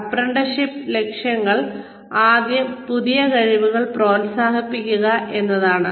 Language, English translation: Malayalam, The objectives of apprenticeship are, first is promotion of new skills